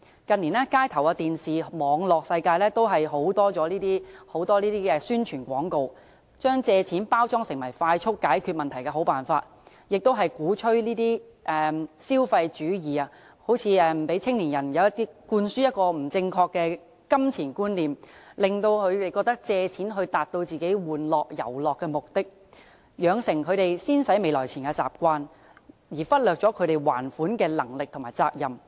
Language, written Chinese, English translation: Cantonese, 近年，街頭、電視，以至網絡世界都充斥這些宣傳廣告，把借錢包裝成為快速解決問題的好辦法，鼓吹消費主義，向年青人灌輸不正確的金錢觀念，令他們覺得可以借錢達到自己玩樂、遊樂的目的，養成他們"先使未來錢"的習慣，忽略他們還款的能力及責任。, In recent years these advertisements can be found everywhere on the streets television and even in the cyber world . Packaging money borrowing as a good way to resolve problems promptly these advertisements advocate consumerism and instill a wrong concept of spending money into young people giving them an impression that they can raise loans for their own pleasure purposes . Not only will they develop a habit of spending in advance but they will also ignore their repayment capability and responsibility